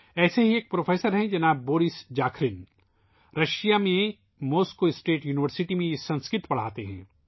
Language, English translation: Urdu, Another such professor is Shriman Boris Zakharin, who teaches Sanskrit at Moscow State University in Russia